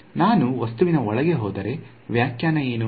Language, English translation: Kannada, So, if I go inside the object what is the interpretation